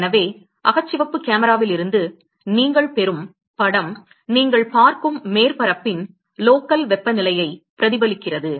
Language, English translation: Tamil, So, the image that you get from an infrared camera reflects the local temperature of that surface that you are looking at